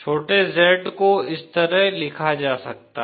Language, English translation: Hindi, Small Z can be written like this